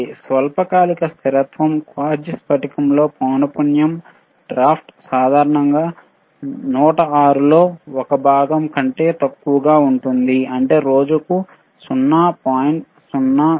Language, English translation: Telugu, Sshort term stability, in a quartz crystal the frequency drift with time is typically less than 1 part in 10 to the power 6, 1 part in 10 to the power 6which is 0